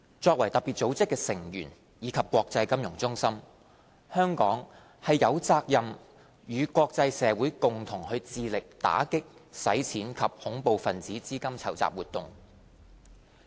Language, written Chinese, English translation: Cantonese, 作為特別組織的成員及國際金融中心，香港有責任與國際社會共同致力打擊洗錢及恐怖分子資金籌集活動。, As a member of FATF and an international financial centre Hong Kong is obliged to join forces with the international community to combat money laundering and terrorist financing activities